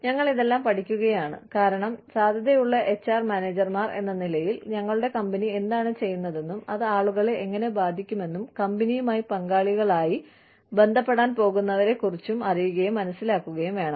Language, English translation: Malayalam, We are learning, all these things, because, as HR managers, as potential HR managers, we need to know, we need to be able to understand, how, what our company is doing, is going to affect the people, who are going to be associated with the company, as stakeholders